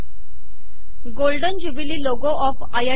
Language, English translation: Marathi, Golden Jubilee logo of IIT Bombay